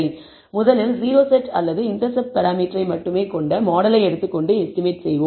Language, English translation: Tamil, So, we will first take the model containing only the o set or the intercept parameter and estimate